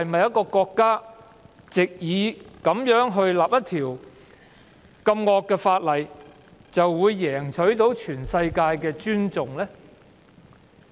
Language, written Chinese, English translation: Cantonese, 一個國家能否藉訂立惡法贏取全世界尊重呢？, Can a country win the respect of the world by enacting a piece of draconian legislation?